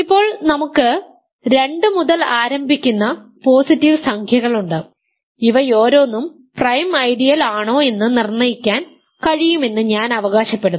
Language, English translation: Malayalam, Now we are left with positive integers beginning with 2 and I claim that for each of those we can determine whether it is a prime ideal or not simply by looking at n